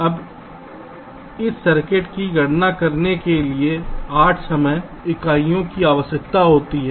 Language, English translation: Hindi, lets say here: now, this circuit requires eight units of time right to compute